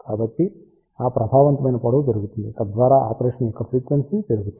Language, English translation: Telugu, So, that effective length is increased thereby reducing the frequency of operation